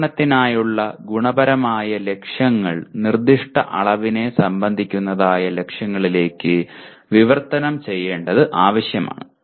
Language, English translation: Malayalam, It is necessary to translate the qualitative goals for the device into specific quantitative goals